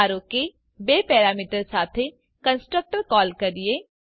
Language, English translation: Gujarati, Suppose now call a constructor with two parameters